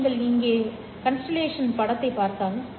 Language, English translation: Tamil, You go to the constellation diagram over here